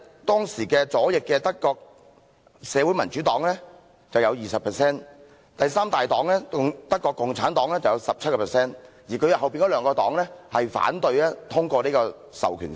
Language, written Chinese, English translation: Cantonese, 當時德國左翼的社會民主黨有 20% 議席，第三大黨德國共產黨有 17%， 而這兩個政黨則反對通過《授權法》。, At the time the left - wing Social Democratic Party of Germany and the third largest political party called the Communist Party of Germany respectively occupied 20 % and 17 % of all seats and these two parties opposed the passage of an Enabling Act